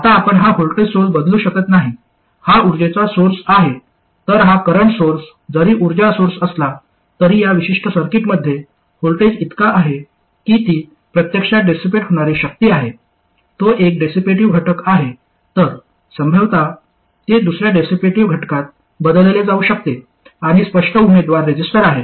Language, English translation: Marathi, Now you can't replace this voltage source, this is a source of energy, whereas this current source, although it could be a source of energy, in this particular circuit the voltage across it is such that it is actually dissipating power, it is a dissipative element, so presumably it can be replaced with another dissipative element and the obvious candidate is the resistor